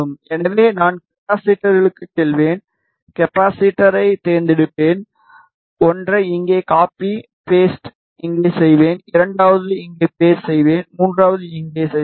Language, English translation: Tamil, So, I will go to capacitors, I will choose capacitor, I will place one here copy paste, I will place the second here paste, third here, ok